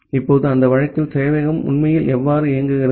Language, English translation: Tamil, Now, in that case how the server actually works